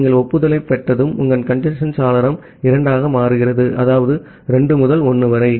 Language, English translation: Tamil, Once you are receiving the acknowledgement, your congestion window becomes two that means 2 into 1